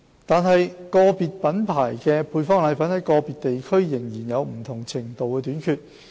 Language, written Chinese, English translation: Cantonese, 然而，個別品牌的配方粉在個別地區仍有不同程度的短缺。, Nevertheless there were different degrees of shortage of products of individual brands in certain districts